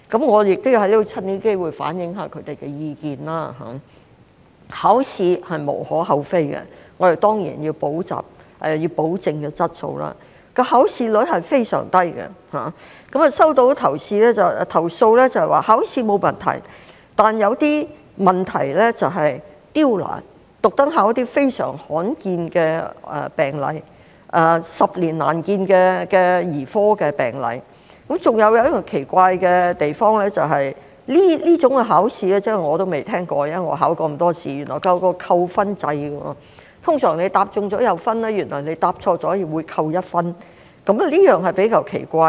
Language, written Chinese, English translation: Cantonese, 我亦藉此機會反映他們的意見，考試是無可厚非的，我們當然要保證質素，考試率是非常低，收到的投訴指考試沒有問題，但有些試題就是刁難，刻意考一些非常罕見的病例，十年難見的兒科病例，還有一個奇怪的地方，就是這種考試——我都未聽過，即使我考過這麼多考試——原來設有一個扣分制，通常答中會有分，但原來答錯也會扣1分，這點比較奇怪。, There is nothing to be said against taking the examination as we certainly want to ensure quality . The examination rate is very low; the complaints received are that there is nothing wrong with the examination but some of the questions are very difficult deliberately testing candidates on some very rare cases or rarely seen paediatric cases . Another strange aspect is that this kind of examination―I have never heard of it even though I have taken so many examinations―adopts a point deduction system under which one point will be deducted for a wrong answer unlike the usual practice of getting points for correct answers only